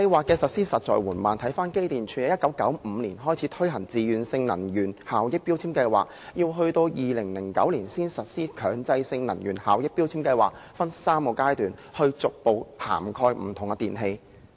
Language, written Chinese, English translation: Cantonese, 機電工程署在1995年開始推行自願性能源效益標籤計劃，到2009年才實施強制性能源效益標籤計劃，分3個階段逐步涵蓋不同的電器。, The Electrical and Mechanical Services Department EMSD had been operating a Voluntary Energy Efficiency Labelling Scheme since 1995 but the Mandatory Energy Efficiency Labelling Scheme MEELS was introduced in 2009 only under which different electrical appliances would be covered in three phases